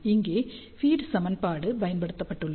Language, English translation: Tamil, And here equation feed has been used